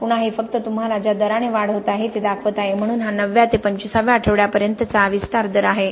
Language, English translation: Marathi, Again this is just showing you the rate at which it is the growth is happening, so this is the rate of expansion from 9th to 25th week